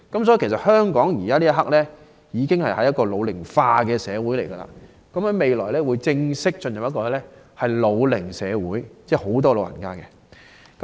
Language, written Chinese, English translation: Cantonese, 所以，香港現時已是"老齡化社會"，未來更會正式進入"老齡社會"，有更多長者。, Thus Hong Kong is an ageing society at present and it will formally become an aged society in the future as the number of senior citizens increases